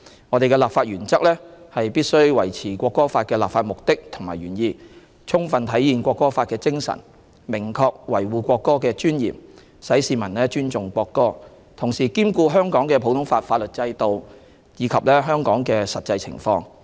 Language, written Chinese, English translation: Cantonese, 我們的立法原則是必須維持《國歌法》的立法目的和原意，充分體現《國歌法》的精神，明確維護國歌的尊嚴，使市民尊重國歌；同時兼顧香港的普通法法律制度，以及香港的實際情況。, Our legislative principle is to maintain the purpose and intent of the National Anthem Law to fully reflect its spirit and to preserve the dignity of the national anthem so that Hong Kong citizens would respect the national anthem whilst taking into account the common law system and local circumstances